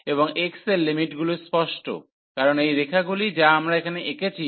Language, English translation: Bengali, And the x limits are clear, because these lines which we have drawn here